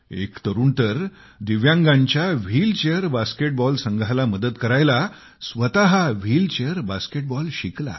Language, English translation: Marathi, One young person learned to play wheelchair basket ball in order to be able to help the wheelchair basket ball team of differently abled, divyang players